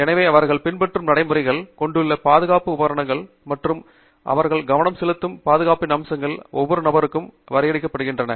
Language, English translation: Tamil, Therefore, the procedures that they follow, the safety equipment that they have, and the aspects of safety that they focus on are actually well defined for each individual